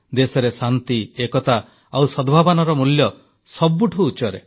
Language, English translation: Odia, The values of peace, unity and goodwill are paramount in our country